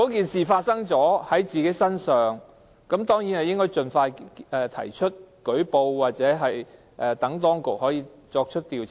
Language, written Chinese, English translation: Cantonese, 事情發生後，受害人當然應該盡快舉報，讓當局作出調查。, Upon the occurrence of an offence the victim should certainly make a report as soon as possible so that the authorities can investigate it